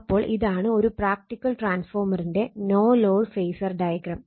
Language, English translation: Malayalam, So, this is the no load phasor diagram for a practical transformer